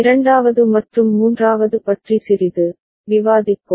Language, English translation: Tamil, We’ll discuss about second and third little later